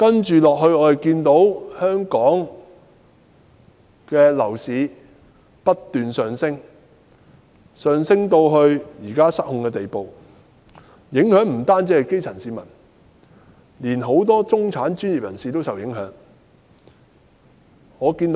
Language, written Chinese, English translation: Cantonese, 接下來，香港的樓市不斷上升至現時失控的地步，受影響的不單是基層市民，連很多中產和專業人士也受影響。, Furthermore the continuous rise in Hong Kongs property prices has become out of control . Not only the grass - roots people but also many middle - class people and professionals have been affected